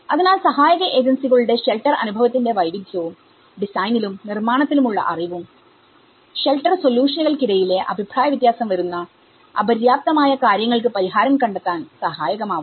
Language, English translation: Malayalam, So, the widely varying degree of shelter experience and knowledge of design and construction between assistance agencies, which can lead to inadequate solutions with significant variance between shelter solutions